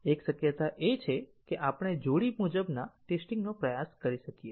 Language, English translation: Gujarati, One possibility is that we might try the pair wise testing